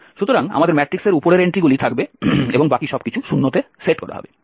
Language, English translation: Bengali, We will have this upper entries of the matrix and the rest everything will be set to 0